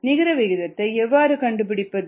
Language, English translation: Tamil, how do you find the net rate